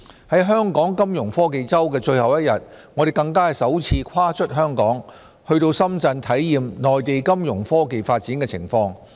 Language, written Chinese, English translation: Cantonese, 在香港金融科技周的最後一天，我們更首次跨出香港，到深圳體驗內地金融科技發展的情況。, On the last day of the Hong Kong Fintech Week we stepped out of Hong Kong for the first time to visit Shenzhen and learn about the Fintech development in the Mainland